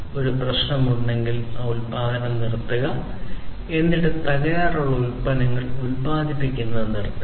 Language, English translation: Malayalam, If there is a problem, stop the production, then and there, stop producing defective products in turn